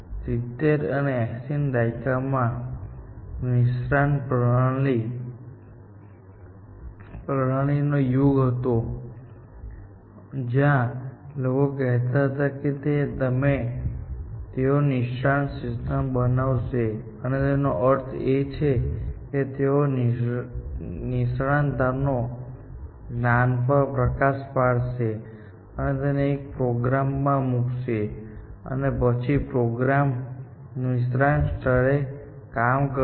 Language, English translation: Gujarati, It was touted as the first expert system, which was built, and 70s and 80s was the era of expert systems where, people said that we will build expert systems, and by this, they meant that they will elicit the knowledge of experts, put it into a program, and the program will then, perform at the level of an expert